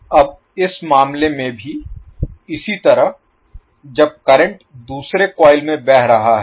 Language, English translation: Hindi, Now similarly in this case when the current is flowing in second coil